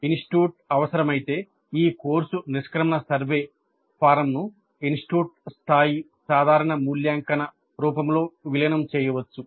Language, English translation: Telugu, If the institute requires this course exit survey can be integrated into the institute level common evaluation form, that is okay